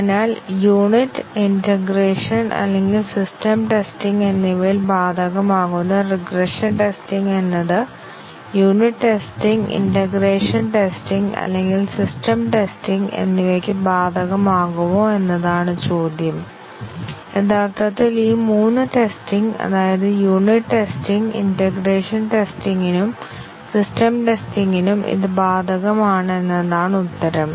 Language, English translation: Malayalam, So, the question is that is regression testing applicable at unit, integration or system testing is regression testing applicable to unit testing, integration testing or system testing, the answer is that actually it is applicable to all this three levels of testing unit testing integration testing and system testing actually regression testing is a different dimension of testing and therefore, we cannot say that regression belongs to only one level of testing